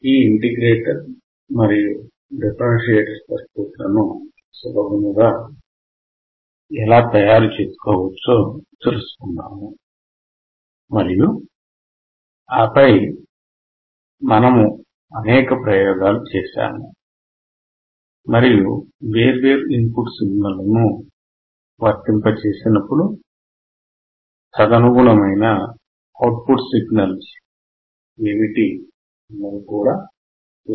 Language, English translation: Telugu, We will see quickly, how we can derive this integrator and differentiator, and then we will perform several experiments and see when we apply different input signals, what are the output signals corresponding to those input signals